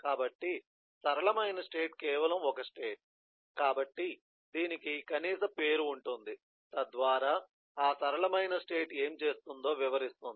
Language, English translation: Telugu, so a simple state is just a state, so it has a name that is a minimum so which describe what eh that eh simple state is doing